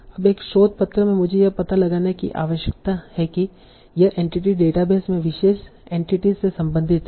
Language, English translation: Hindi, Now in a research paper I need to find out okay this entity talks about this is corresponding to the particular entity in the database